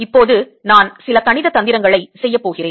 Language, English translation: Tamil, now i am going to do some mathematical trick